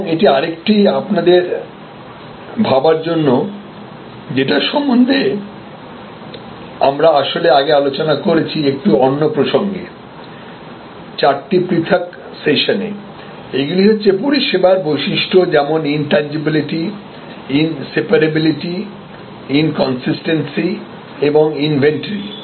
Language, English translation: Bengali, And this other one for you to think about we have discussed this actually in another context earlier in over four different sessions, that these are the characteristics of service intangibility in separability, inconsistency and inventory